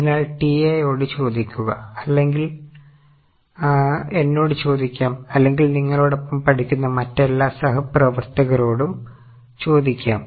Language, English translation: Malayalam, So, ask to TAs, ask to me or ask to all other colleagues who are also studying with you